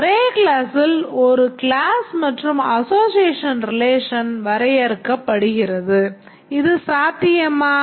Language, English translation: Tamil, I have a single class and the association relationship is defined on that same class